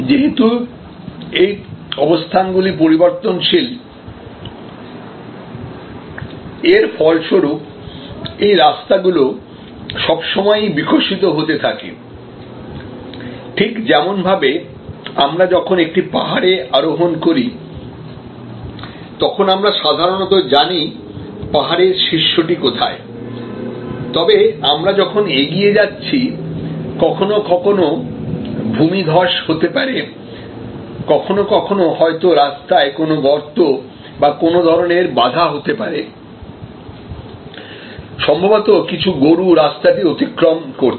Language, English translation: Bengali, Because, this is a changing position, this is a changing position, so as a result this may be actually a somewhat evolving root, just as when we or climbing a hill, then we know generally where the hill top is, but as we proceed sometimes there may be a landslides, sometimes there maybe some you know pot hole on the road and there may be some, you know obstruction, maybe some cows are crossing the road